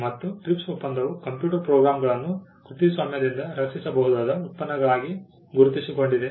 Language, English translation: Kannada, And the TRIPS agreement also recognised computer programs as products that can be protected by copyright